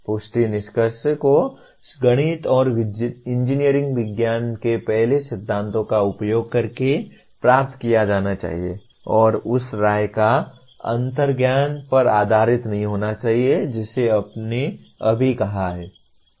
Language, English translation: Hindi, The substantiated conclusion should be arrived using first principles of mathematics and engineering sciences and not based on the opinion or intuition which you have just stated there